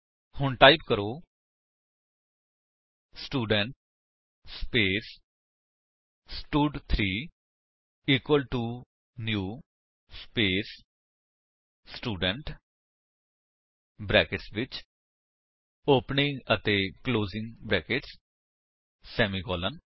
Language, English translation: Punjabi, So type Student space stud3 equal to new space Student within brackets opening and closing brackets semicolon